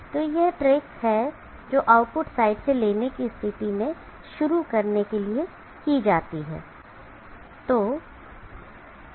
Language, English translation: Hindi, So this is the trick that is done for starting up in case you take from the output side